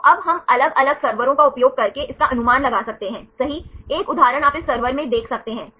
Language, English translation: Hindi, So, now, we can predict this using different servers right, one example is you can see in this server right